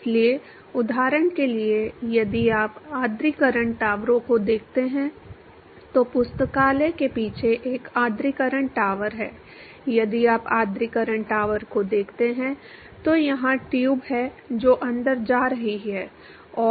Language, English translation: Hindi, So, for example, if you look at the humidifying towers there is a humidifying tower behind the library if you look at the humidifying tower there are tubes which are going inside and